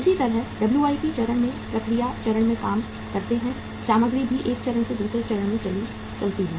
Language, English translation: Hindi, Similarly, in the WIP stage also work in process stage also material moves from the one stage to the other stage